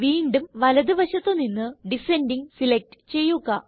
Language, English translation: Malayalam, Again, from the right side, select Descending